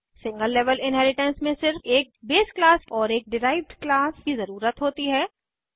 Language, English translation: Hindi, In single level inheritance only one base class and one derived class is needed